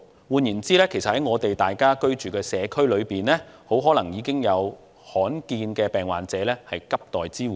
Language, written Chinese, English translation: Cantonese, 換言之，在我們居住的社區中，很可能已有罕見疾病患者正急待支援。, In other words in the community that we are living there are already rare disease patients urgently waiting for assistance